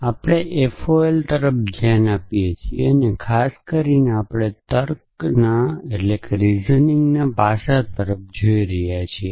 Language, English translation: Gujarati, So, we are looking at FOL and in particularly we are looking at reasoning aspect